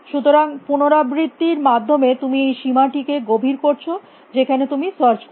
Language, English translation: Bengali, So, iteratively you deepen this bound to which you will search